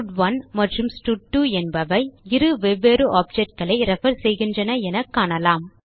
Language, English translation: Tamil, We can see that here stud1 and stud2 refers to two different objects